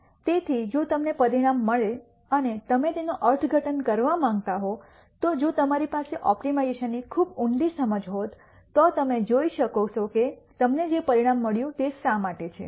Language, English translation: Gujarati, So, if you get a result and you want to interpret it, if you had a very deep understanding of optimization you will be able to see why you got the result that you got